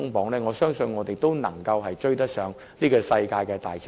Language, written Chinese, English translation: Cantonese, 若然如此，我相信我們仍能追上世界的大潮流。, In that case I believe we can still catch up with the prevailing global trend